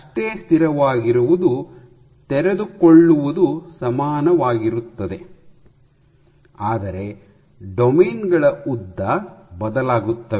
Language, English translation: Kannada, So, equally stable would mean that the unfolding face is equal, but “lengths of the domains” varying